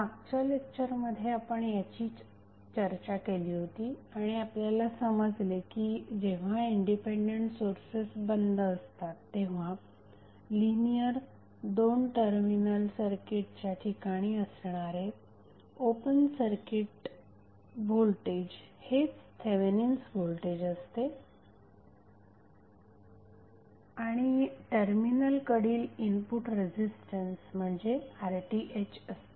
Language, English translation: Marathi, So, this is what we discussed in the last class and then we stabilized that Thevenin voltage is nothing but open circuit voltage across the linear two terminal circuit and R Th is nothing but the input resistance at the terminal when independent sources are turned off